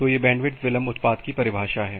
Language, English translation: Hindi, So, that is the definition of bandwidth delay product